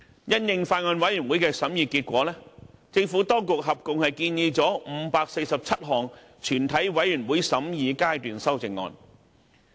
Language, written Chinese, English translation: Cantonese, 因應法案委員會的審議結果，政府當局合共提出了547項全體委員會審議階段修正案。, In response to the deliberations of the Former Bills Committee the Administration submitted a total of 547 Committee stage amendments CSAs